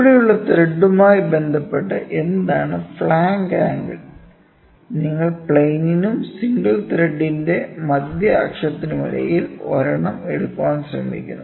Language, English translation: Malayalam, So, what is flank angle with respect to the thread here, you try to take one between the plane and the central axis of the single thread it makes a flank angle, ok